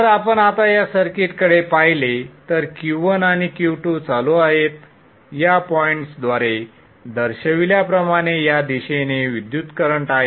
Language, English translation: Marathi, So if you look at this circuit now, so Q1 and Q2 are on, there was a current flowing in this direction as shown by this pointer